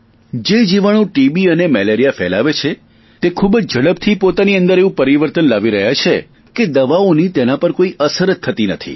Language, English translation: Gujarati, Microbes spreading TB and malaria are bringing about rapid mutations in themselves, rendering medicines ineffective